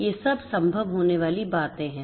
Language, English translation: Hindi, These are all this things that are possible